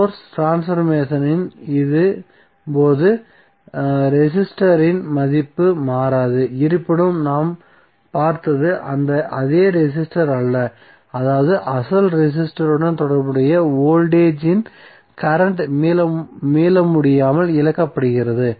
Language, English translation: Tamil, The resistor value does not change during the source transformation this is what we have seen however it is not the same resistor that means that, the current of voltage which are associated with the original resistor are irretrievably lost